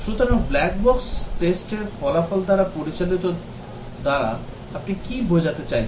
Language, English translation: Bengali, So, what do you mean by the guided by black box testing result